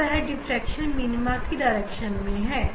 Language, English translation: Hindi, Now, that is the direction for diffraction minima